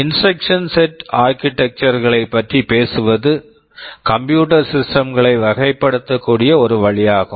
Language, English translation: Tamil, Talking about the instruction set architectures this is one way in which you can classify computer systems